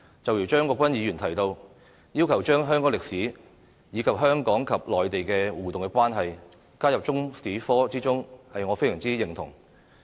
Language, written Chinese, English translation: Cantonese, 正如張國鈞議員提到，要求將香港歷史，以及香港與內地的互動關係加入中史科之中，我非常認同。, Mr CHEUNG Kwok - kwan proposes to include Hong Kong history and the interactive relationship between Hong Kong and the Mainland in the curriculum . I fully support this idea